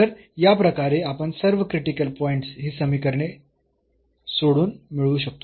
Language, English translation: Marathi, So, in this way we can find all the critical points by solving these equations